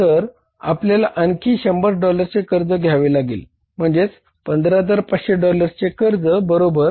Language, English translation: Marathi, So we'll have to borrow by 100 more dollars that is $15,500 borings, right